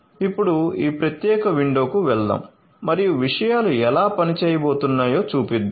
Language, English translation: Telugu, So, let us now go to this particular window and let us show you how things are going to work